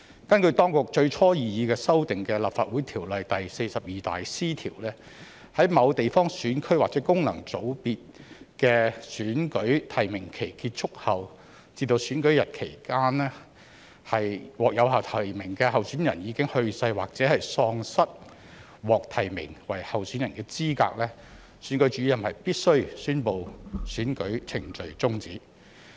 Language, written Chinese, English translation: Cantonese, 根據當局最初擬議新訂的《立法會條例》第 42C 條，在某地方選區或功能界別的選舉提名期結束後至選舉日期間，若獲有效提名的候選人已去世，或喪失獲提名為候選人的資格，選舉主任必須宣布選舉程序終止。, Under the originally proposed new section 42C of the Legislative Council Ordinance between the close of nominations for an election for a geographical constituency GC or a functional constituency FC and the date of the election if a validly nominated candidate has died or is disqualified from being nominated as a candidate the Returning Officer must declare that the proceedings for the election are terminated